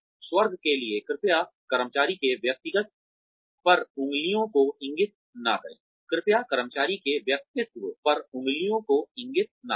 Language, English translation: Hindi, For heaven sake, please do not point fingers, at the personality of the employee